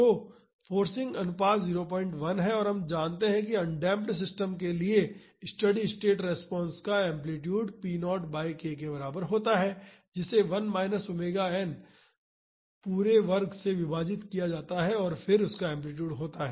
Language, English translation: Hindi, 1 and we know that for undamped systems, the amplitude of the steady state response is equal to p naught by k divided by 1 minus omega n the whole square and then amplitude of that